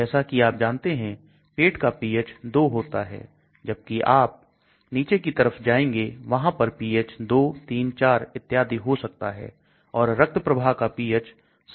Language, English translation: Hindi, as you know the pH of the stomach is 2 whereas the pH down the line can go up 2, 3, 4, and all that and the pH in the blood stream is 7